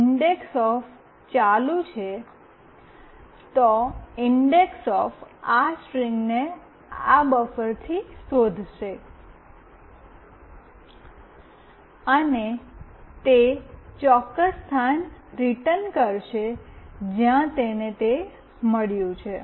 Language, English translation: Gujarati, indexOf is ON, indexOf will search for this string from this buffer, and it will return that particular location where it has found out